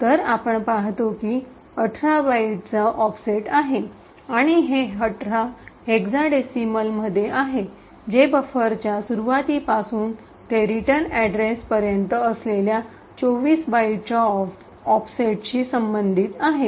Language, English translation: Marathi, So, we see that there is an offset of 18 bytes and this 18 is in hexadecimal which corresponds to 24 bytes offset from the start of the buffer to the return address